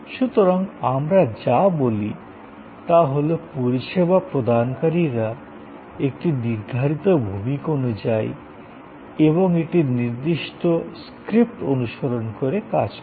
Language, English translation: Bengali, So, this is, what we say, that the service providers act according to a define role and follow a certain script